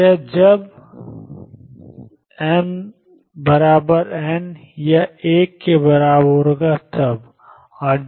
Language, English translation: Hindi, So, that when m equals n it is one